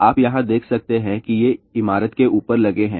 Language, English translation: Hindi, You can see over here these are mounted on top of the building